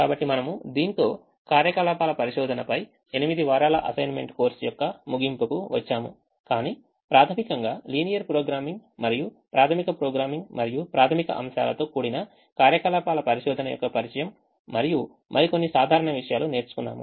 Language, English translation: Telugu, so with this we come to the end of this online courses with and eight weeks course on operations research, but with primary emphasis on linear programming and introduction to or fundamental of operations research involving up to linear programming and simple topics